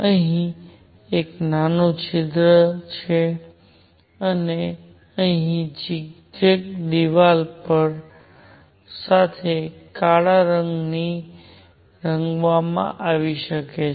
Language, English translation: Gujarati, With a small hole here and zigzag wall here maybe painted with black inside